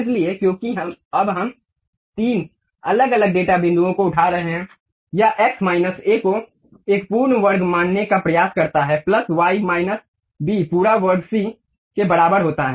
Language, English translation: Hindi, So, because now we are picking up three different data points, it try to assume x minus a whole square plus y minus b whole square is equal to c square